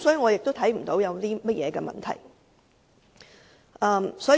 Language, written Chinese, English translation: Cantonese, 因此，我看不到有任何問題。, Hence I do not see any problem in this regard